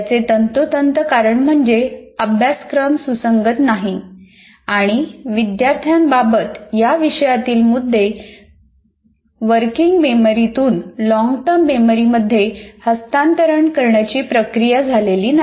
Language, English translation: Marathi, That is precisely because the content is not related, they are not connected, and the student hasn't gone through the entire process of transferring working memory to the long term memory